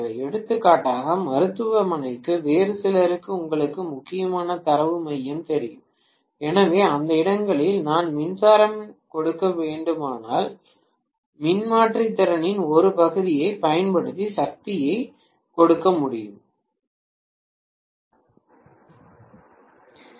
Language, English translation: Tamil, For example for hospital, for some other you know important data center so, in those places if I have to give power at least I can give power using part of the transformer capacity